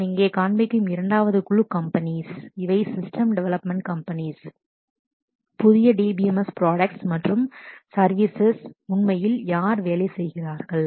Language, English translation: Tamil, The second group of companies which I show here, these are system development companies who are actually working on the new DBMS products and services around that